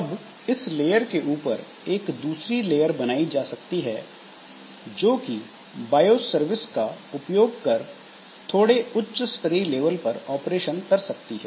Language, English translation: Hindi, Then on top of that layer one so another layer layer two will be made so that will be utilizing those bios services for doing some operations at a slightly higher level